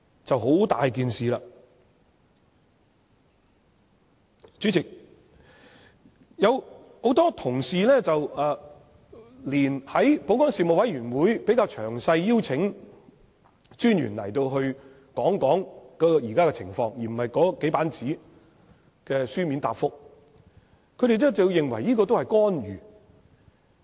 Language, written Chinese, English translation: Cantonese, 主席，在保安事務委員會會議上，有同事提議邀請專員來詳細講解現在的情況，而不是以這數頁紙作書面答覆，不少人也認為這是干預。, Chairman at a Panel on Security meeting one colleague suggested inviting the Commissioner to explain in detail the present situation instead of providing a written reply of only a few pages but not a few people think that this is a kind of intervention